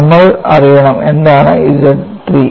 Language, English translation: Malayalam, And we have to know, what is Z 3